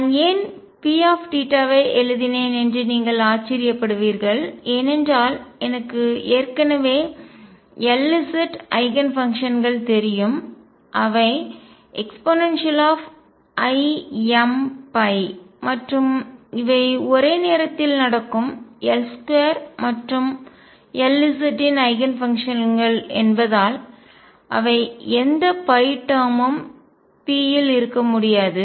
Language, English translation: Tamil, You may wonder why I wrote P theta that is because I already know the L z Eigen functions and those are e raised to i m phi and since these are simultaneous Eigenfunctions of L square and L z they cannot be any phi term in P